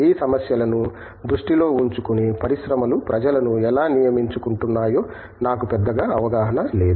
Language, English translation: Telugu, I am not sure yet, how industries are hiring people on keeping these issues in mind or not